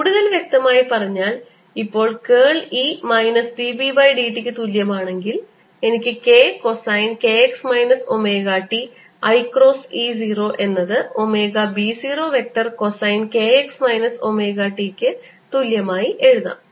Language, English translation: Malayalam, similarly, minus d b by d t is going to be equal to b zero vector d by d t of sine k x minus omega t, with a minus sign in front, and this is going to become then plus omega b zero vector cosine of k x minus omega t